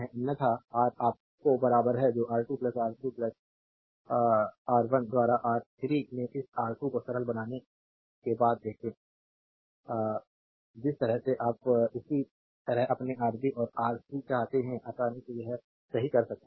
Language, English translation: Hindi, Otherwise Ra is equal to your what you call R 2 plus R 3 plus see after simplification this R 2 into R 3 by R 1; the way you want similarly your R b and Rc you can easily make it right